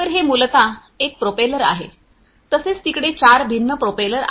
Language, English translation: Marathi, So, this is basically one propeller likewise there are 4 different propellers